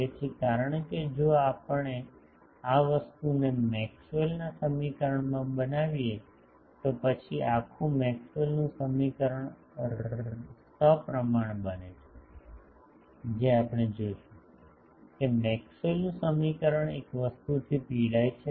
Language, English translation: Gujarati, So, that because if we make the, this thing in the Maxwell’s equation, then the whole Maxwell’s equation becomes symmetrical that we will see; that Maxwell’s equation suffer from one thing